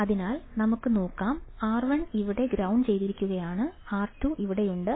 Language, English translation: Malayalam, So, let us see, R1 is here which is grounded, R2 is here